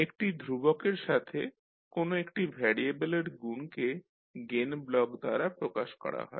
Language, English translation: Bengali, The multiplication of a single variable by a constant is represented by the gain block